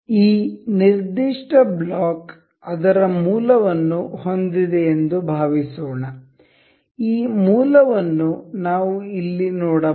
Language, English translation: Kannada, Suppose this particular block has its origin we can see this origin over here